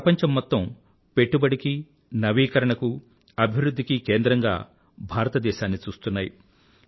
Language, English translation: Telugu, The whole world is looking at India as a hub for investment innovation and development